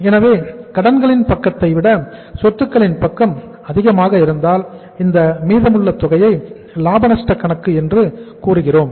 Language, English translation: Tamil, So if the asset side is more than the current say liability side, so what is the balance called as, as the profit and loss account